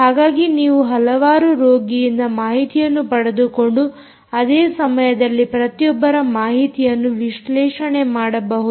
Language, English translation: Kannada, so you could basically take data from several patients and simultaneously analyze ah the data from each one of them